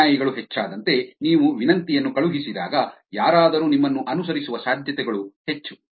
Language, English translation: Kannada, As the followers increase, the chances of somebody following you back when you send a request is high